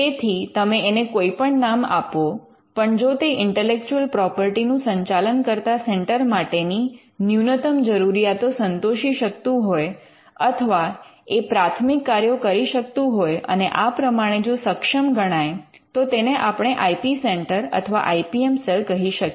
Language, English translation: Gujarati, So, no matter what you call it if it qualifies or if it does the preliminary functions or the minimum requirements of a centre that manages intellectual property then we can call it an IP centre or an IPM cell